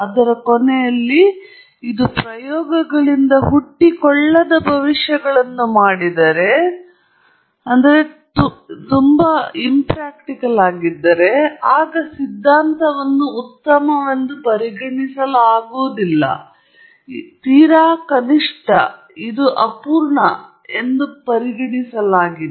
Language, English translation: Kannada, At the end of it all, if it makes predictions that are not borne out by experiments, then the theory is not considered good; it is considered, at the very least, it is considered incomplete